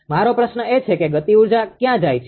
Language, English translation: Gujarati, My question is where that kinetic energy goes right